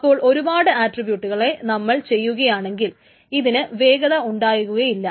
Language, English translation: Malayalam, So when multiple attributes are done, it may not be any faster